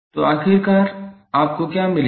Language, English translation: Hindi, So, what eventually you will get